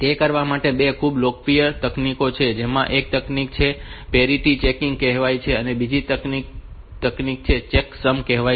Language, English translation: Gujarati, So, there are two very popular techniques for doing it, one is called parity checking and another is the checksum